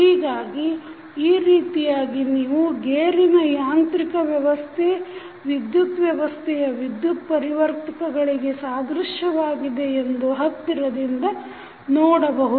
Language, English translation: Kannada, So, in this way you can see that how closely the mechanical system of gears is analogous to the electrical system of the transformers